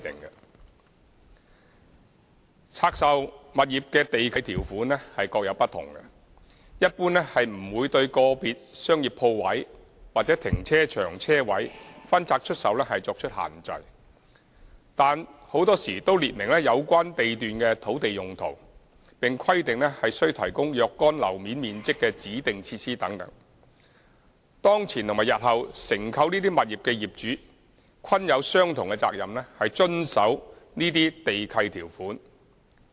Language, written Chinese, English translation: Cantonese, 每項拆售物業的地契條款各有不同，一般不會對個別商業鋪位或停車場車位分拆出售作出限制，但很多時都列明有關地段的土地用途，並規定須提供若干樓面面積的指定設施等，當前及日後承購這些物業的業主均有相同責任遵守這些地契條款。, The land lease conditions for divested property vary . In general they do not restrict the disposal of individual shopping unit or carparking space but in most cases would specify the land uses of the lots including requirements that certain floor areas shall be used for the provision of designated facilities . Current and subsequent owners who purchase these properties later are all obliged to comply with these lease conditions